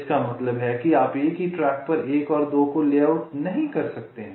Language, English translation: Hindi, it means you cannot layout one and two on the same track